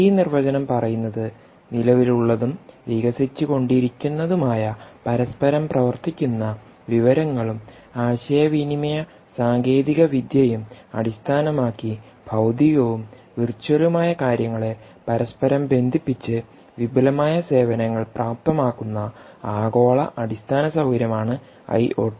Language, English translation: Malayalam, so it says global infrastructure for the information society, enabling advanced services by interconnecting physical and virtual things based on existing and evolving interoperable information and communication technologies